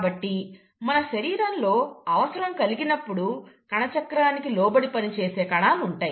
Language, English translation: Telugu, So, there are cells in our body which will undergo cell cycle, if the need arises